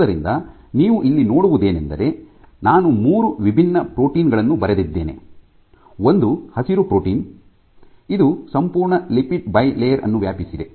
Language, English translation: Kannada, So, what you see I have drawn three different protein one green protein which spans the entire lipid bilayer